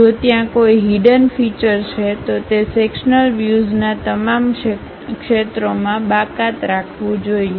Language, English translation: Gujarati, If there are any hidden features, that should be omitted in all areas of sectional view